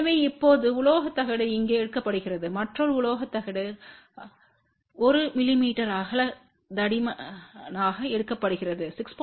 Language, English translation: Tamil, So, now metallic plate is taken here another metallic plate is taken thickness of 1 mm width is given over here which is about 6